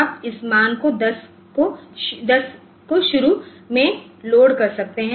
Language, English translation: Hindi, So, you can load this values say 10 initially